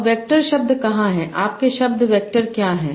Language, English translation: Hindi, Now, where are the word vectors